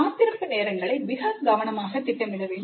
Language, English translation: Tamil, So these wait times must be planned carefully